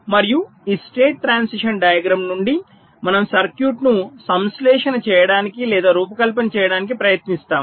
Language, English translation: Telugu, this is what you want and from this state transition diagram we try to synthesize or design my circuit